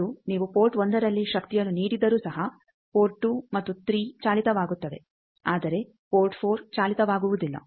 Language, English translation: Kannada, That, even if you give power at port 1 port 2 and 3 get powered, but port 4 do not get powered